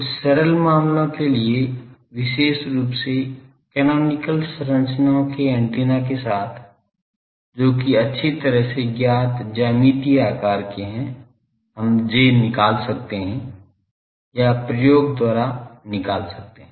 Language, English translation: Hindi, For some simple cases particularly were antennas with canonical structures that means, well known geometrical shapes we can find J or by measurement experiment we can find